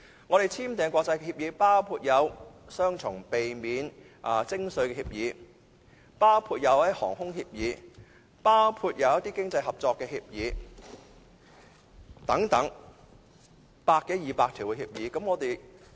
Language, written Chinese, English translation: Cantonese, 我們已簽訂的國際協議包括避免雙重徵稅協議、航空協議，以及一些經濟合作協議等百多二百項協議。, The international agreements we have already signed include some 100 to 200 agreements related to double taxation aviation and economic cooperation